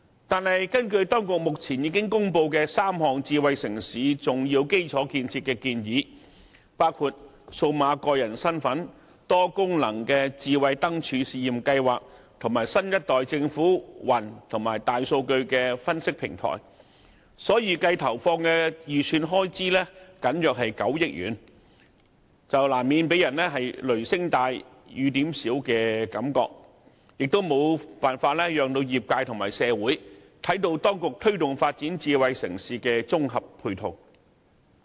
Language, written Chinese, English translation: Cantonese, 不過，根據當局公布的3項智慧城市重要基礎建設建議，包括數碼個人身份、多功能智慧燈柱試驗計劃，以及新一代政府雲端基礎設施及大數據分析平台，政府預計投放的預算開支僅為9億元左右，難免給人"雷聲大雨點小"的感覺，也無法讓業界和社會看到當局積極推動發展智慧城市的綜合配套工作。, Nevertheless according to three key Smart City infrastructure proposals announced by the authorities including a personal digital identity a pilot multi - functional smart lampposts scheme and a new - generation government cloud infrastructure platform and a big data analytics platform the projected amount of expenditure to be injected by the Government is a mere 900 million or so thus giving an impression of all thunder but no rain . Neither can the industry and society see any proactive effort made by the authorities in promoting the integrated ancillary work of developing a smart city